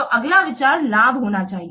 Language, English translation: Hindi, So the next content must be benefits